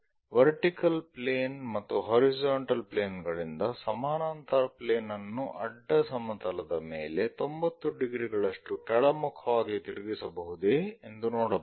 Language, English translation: Kannada, From the vertical plane and horizontal plane, if we are taking if we can rotate a parallel plane on the horizontal thing by 90 degrees in the downward direction